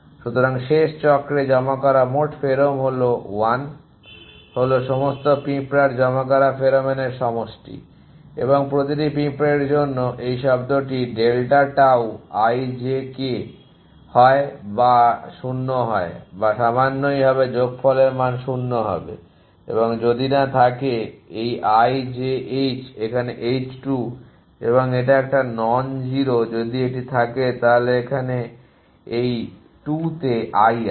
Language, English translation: Bengali, So, the total pherom1 deposited in the last cycle is the sum of the pheromone to deposited by all the ants and for each ants this term delta tau i j k would be either 0 or little be sum value it to be 0 if that and does not have this i j h in h 2 an it to non zero if it is it has i at in this 2